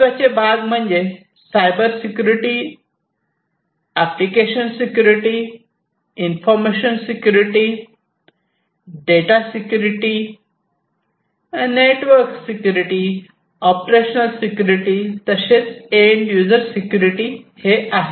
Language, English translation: Marathi, So, going back, these are the main components of Cybersecurity, application security, information security, data security, information or data security, network security, operational security, and end user education